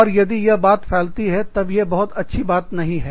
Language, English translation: Hindi, And, if word spreads about that, then, it is not very nice